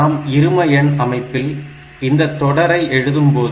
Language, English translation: Tamil, So, this is the representation of 723 in the binary number system